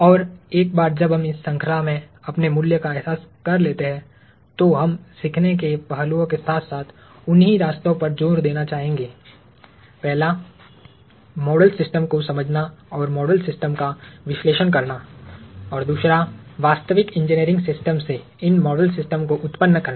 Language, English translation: Hindi, And once we realize our value in this chain, we would like to emphasize the learning aspects as well along those same paths; one – understanding model systems and analyzing model systems; and two – generating these model systems from real engineering systems